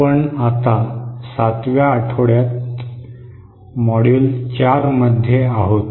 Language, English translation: Marathi, We are in the week 7 module 4